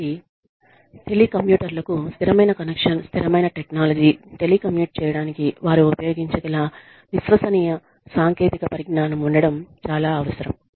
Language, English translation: Telugu, So, it is absolutely essential, that the telecommuters are, have a stable connection, stable technology, dependable technology, that they can use to telecommute